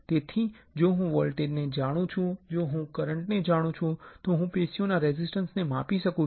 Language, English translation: Gujarati, So, if I know the voltage, if I know the current I can measure the resistance of the tissue